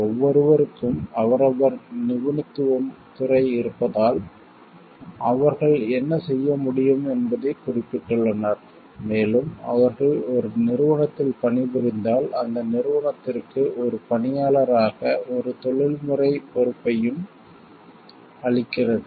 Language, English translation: Tamil, Because, everybody has their own field of expertise stated responsibilities what they can do and if they are working within an organization also that gives a professional responsibility and responsibility as an employee towards that an organization